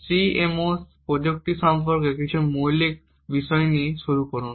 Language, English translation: Bengali, Just start out with some basic fundamentals about CMOS technology